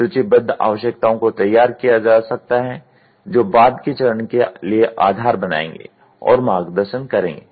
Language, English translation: Hindi, The requirements listed can be formulated which will form the basis for and guide the subsequent phase